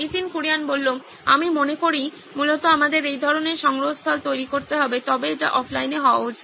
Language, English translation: Bengali, I think essentially we would have to build a similar kind of repository but it should be offline